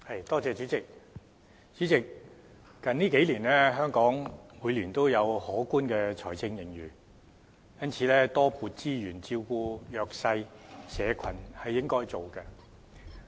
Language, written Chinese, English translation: Cantonese, 代理主席，最近數年香港每年也有可觀的財政盈餘，因此多撥資源照顧弱勢社群是應該做的。, Deputy Chairman with a handsome fiscal surplus recorded in Hong Kong in each of the past several years the provision of additional resources to take care of the disadvantaged groups is what we should do